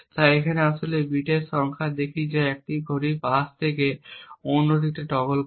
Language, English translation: Bengali, So here we actually look at the number of bits that toggle from one clock pulse to another